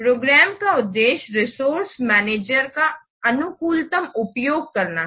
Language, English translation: Hindi, The objective of program manager is to optimize to optimal use of the resources